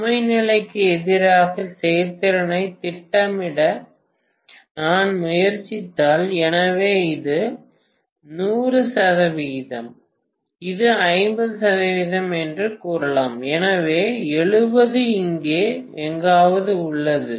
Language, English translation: Tamil, So if I try to plot actually efficiency versus load condition, so let us say this is 100 percent, this is 50 percent, so 70 lies somewhere here